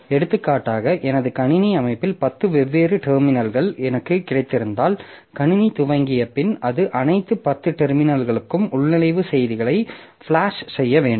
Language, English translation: Tamil, For example, if I have got say 10 different terminals in my computer system, then after the process, the system has initialized, so it should flash login messages to all the 10 terminals